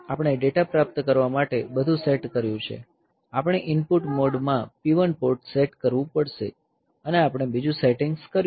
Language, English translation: Gujarati, So, we have set everything for receiving the data, we have to set port P 1 in the input mode and we have done other settings